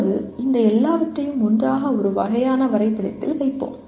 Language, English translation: Tamil, Now let us put down all these things together into a kind of a diagram